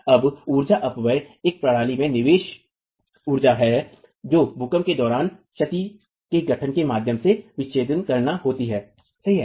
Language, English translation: Hindi, Now energy dissipation is the input energy into a system during an earthquake has to be dissipated by a way of formation of damage